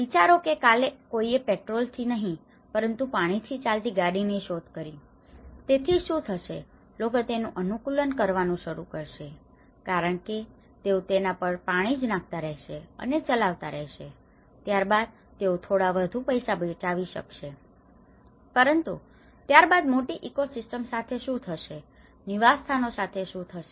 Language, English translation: Gujarati, Imagine, someone has invented tomorrow a car driven with just water, not with petrol, so what happens people will start adapting because they keep putting water on it and they keep driving it, then they can save a little bit more money but then what happens to a larger ecosystem, what happens to the larger habitat